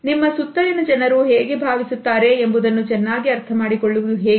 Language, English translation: Kannada, What to better understand how people around you feel